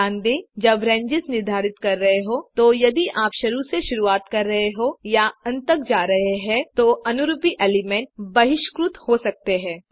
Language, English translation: Hindi, Note that when specifying ranges, if you are starting from the beginning or going up to the end, the corresponding element may be dropped